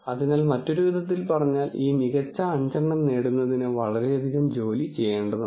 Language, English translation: Malayalam, So, in other words to get this top 5 have to do so much work